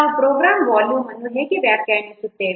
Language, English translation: Kannada, How we are defining program volume